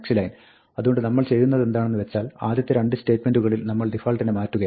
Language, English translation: Malayalam, So, what we are doing is, in the first 2 statements, we are changing the default